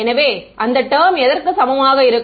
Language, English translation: Tamil, So, what is that going to be equal to